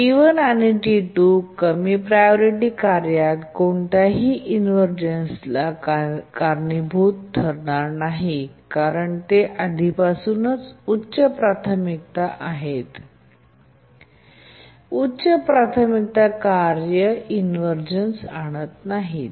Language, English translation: Marathi, T1 and T2 will not cause any inversion to the lower priority tasks because there are already higher priority and high priority task doesn't cause inversions